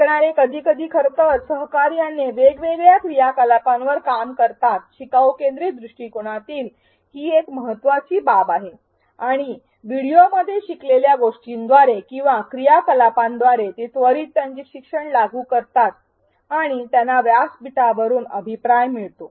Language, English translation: Marathi, Learners work on different activities sometimes collaboratively in fact, that is one of the key aspects of a learner centric approach and they immediately apply their learning from what they what they learnt in the video or by doing the activities and they get feedback on it from the platform